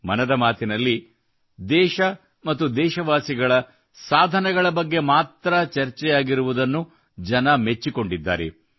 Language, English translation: Kannada, People have appreciated the fact that in 'Mann Ki Baat' only the achievements of the country and the countrymen are discussed